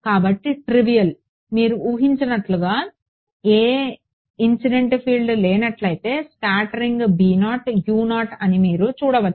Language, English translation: Telugu, So, trivial you can see if there was no incident field there is no scattering b is 0, u is 0 as you expect